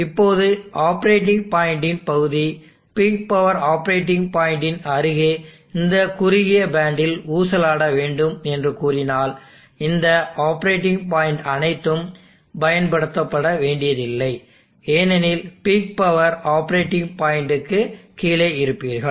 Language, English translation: Tamil, If we now say that the region of the operating points would swing in this narrow band near the peak power operating point, then obviously all these operating points are not suppose to be used, because you will be rate below the peak power operating point